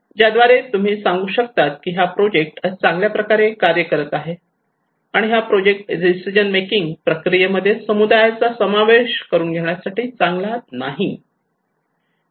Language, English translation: Marathi, Through which you can tell okay this project is working well, and this project is not working well to involving community into the decision making process